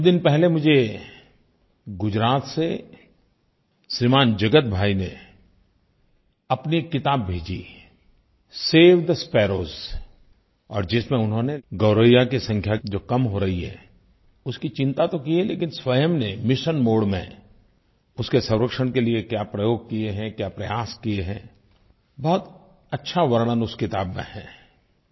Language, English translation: Hindi, Jagat Bhai from Gujarat, had sent his book, 'Save the Sparrows' in which he not only expressed concern about the continuously declining number of sparrows, but also what steps he has taken in a mission mode for the conservation of the sparrow which is very nicely described in that book